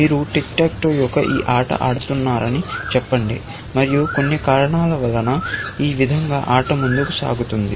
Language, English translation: Telugu, Let us say you are playing this game of Tick Tack Toe, and for some reason, this is how the game proceeds